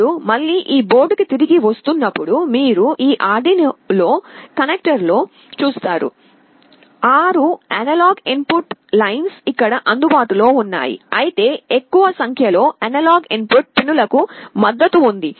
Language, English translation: Telugu, Now, coming back to this board again, you see in this Arduino connector, the six analog input lines are available here, but more number of analog input pins are supported